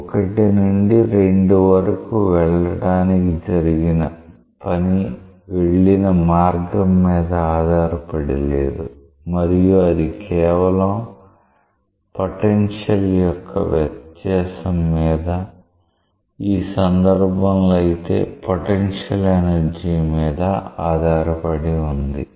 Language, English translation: Telugu, Then, the work done for going from 1 to 2 is independent of the path and just is dependent on the difference in the potential that is the potential energy in this case